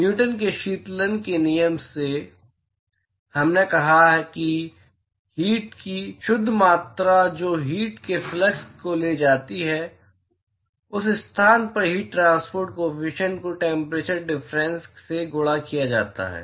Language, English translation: Hindi, From Newton’s law of cooling, we said that the net amount of heat the flux of heat that is transported is heat transport coefficient at that location multiplied by the temperature difference